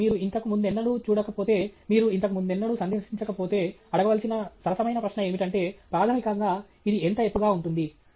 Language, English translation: Telugu, So, if you have never seen it before, if you have never visited it before, a fair question to ask is, basically how tall is it